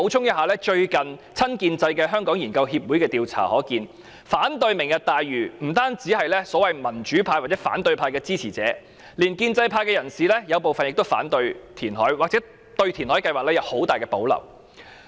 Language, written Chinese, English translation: Cantonese, 根據親建制的香港研究協會最近進行的調查，反對"明日大嶼"的不單包括所謂民主派或反對派支持者，有部分建制派人士也反對填海，或對填海計劃有很大保留。, According to a recent survey conducted by the pro - establishment Hong Kong Research Association HKRA opponents of Lantau Tomorrow are not only restricted to supporters of the so - called democratic camp or opposition camp . Some members of the pro - establishment camp also oppose reclamation or they have great reservation about the reclamation plan